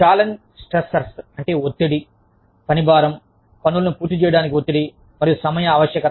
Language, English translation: Telugu, Challenge stressors are stressors, associated with workload, pressure to complete tasks, and time urgency